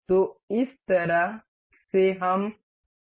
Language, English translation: Hindi, So, in this way we can